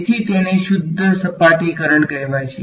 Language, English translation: Gujarati, So, that is what is called a pure surface current ok